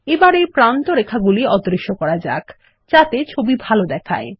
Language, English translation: Bengali, Lets make these outlines invisible so that the picture looks better